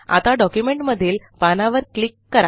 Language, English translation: Marathi, So lets click on the document page